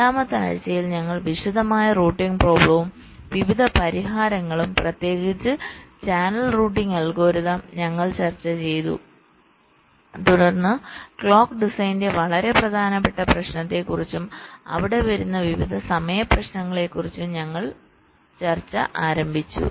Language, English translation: Malayalam, during the fourth week we looked at the detailed routing problem and the various solutions, in particular the channel routing algorithms we have discussed, and then we started our discussion on the very important issue of clock design and the various timing issues that come there in